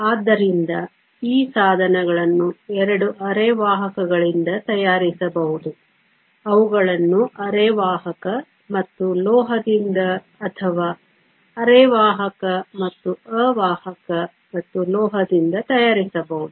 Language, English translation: Kannada, So, these devices could be made from two semiconductors; they could be made from a semiconductor and a metal or even a semiconductor and insulator and a metal